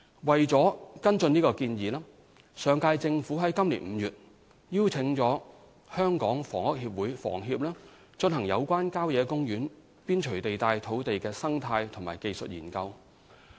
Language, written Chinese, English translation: Cantonese, 為了跟進這提議，上屆政府於今年5月邀請香港房屋協會進行有關郊野公園邊陲地帶土地的生態及技術硏究。, To follow up on this suggestion the last - term Government invited the Hong Kong Housing Society HKHS in May this year to undertake the ecological and technical studies on land on the periphery of country parks